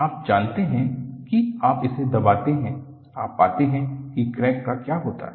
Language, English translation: Hindi, You know you press it, you find, what happens to the crack